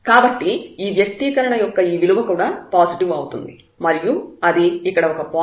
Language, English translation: Telugu, So, this value of this expression is also positive and that is a point here